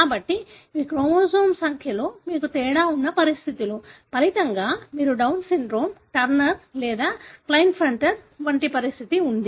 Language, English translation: Telugu, So, these are conditions, wherein you have a difference in the chromosome number; as a result you have a condition like Down syndrome, Turner or Klinefelter